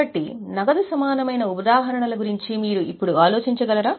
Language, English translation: Telugu, So, can you think of any examples of cash equivalent now